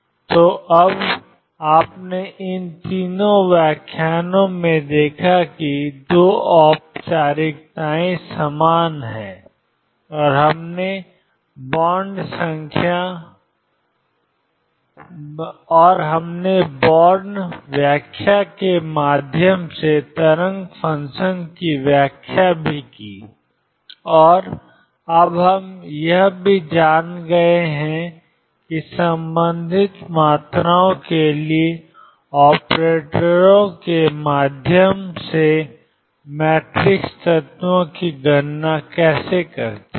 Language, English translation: Hindi, So now, you shown in these three lectures that the 2 formalisms are equivalent and we have also interpreted the wave function through bonds interpretation; and we have also now know how to calculate the matrix elements through operators for the corresponding quantities